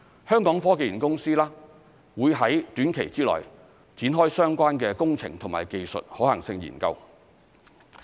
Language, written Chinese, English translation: Cantonese, 香港科技園公司會在短期內展開相關的工程及技術可行性研究。, The Hong Kong Science and Technology Parks Corporation will soon launch related engineering and technical feasibility studies